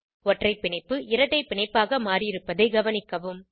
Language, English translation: Tamil, Observe that Single bond is converted to a double bond